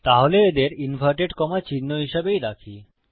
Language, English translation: Bengali, So, just keep them as inverted commas